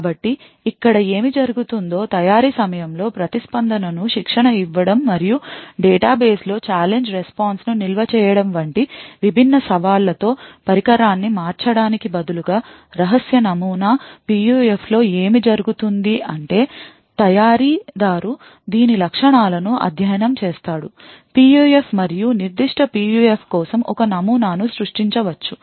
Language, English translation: Telugu, So what happens over here is at the time of manufacture instead of varying the device with different challenges of training the responses and storing the challenge response pairs in our database, what happens in a secret model PUF is that the manufacturer would study the properties of this PUF and create a model for that particular PUF